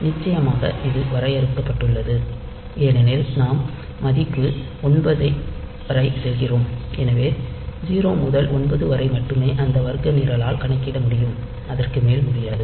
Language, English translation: Tamil, Of course, you can say that this is limited because we are just going up to the value 9, so 0 to 9 only those squares can be computed by this program not beyond that